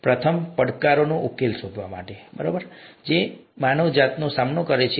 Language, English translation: Gujarati, First, to find solutions to challenges, that face mankind